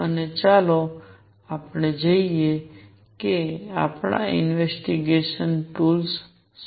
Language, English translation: Gujarati, And let us see what are our investigation tools